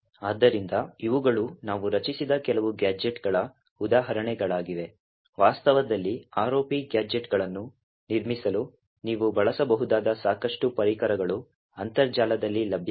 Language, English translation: Kannada, So, these were some of the examples of gadgets that we have created, in reality there are a lot of tools available on the internet which you could use to build ROP gadgets